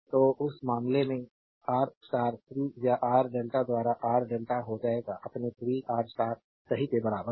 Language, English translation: Hindi, So, in that case R star will be R delta by 3 or R delta is equal to your 3 R star right